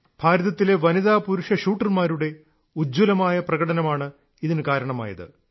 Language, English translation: Malayalam, This was possible because of the fabulous display by Indian women and men shooters